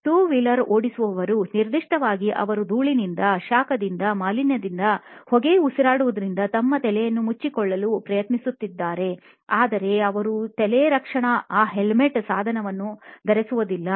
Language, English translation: Kannada, 2 wheelers, particularly, they go through a lot of steps trying to cover their head from dust, from heat, from pollution, from inhaling smoke, but they do not wear a head protection device a helmet